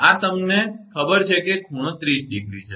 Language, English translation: Gujarati, This you know right this angle is 30 degree